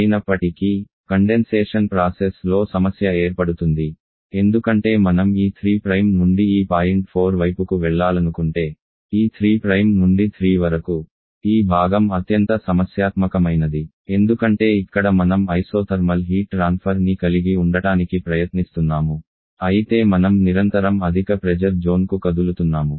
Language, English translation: Telugu, However the problem happens during the condensation process because if we want to move from this 3 Prime towards this point 4 then this 3 Prime to 3 part this part is the most problematic on because here we are trying to have isothermal heat transfer while the system is constantly moving to higher pressure zone